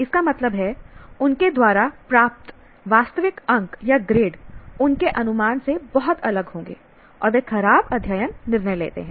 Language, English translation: Hindi, That means the actual marks or grades they receive will be far different from what their estimate is